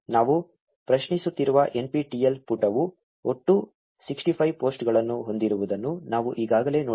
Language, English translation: Kannada, We already saw that the NPTEL page we are querying had about 65 posts in total